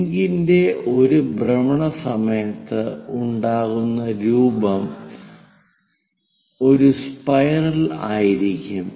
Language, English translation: Malayalam, During one revolution of the link, the shape what it forms is a spiral